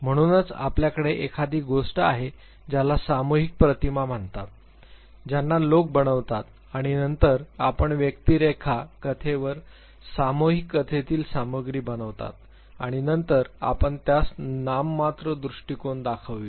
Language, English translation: Marathi, So, you have a what you call collective images that people construct and then you map the individuals story over the collective story content and then you interpret it that is nomothetic approach